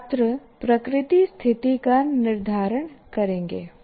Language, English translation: Hindi, So the nature of students will determine the situation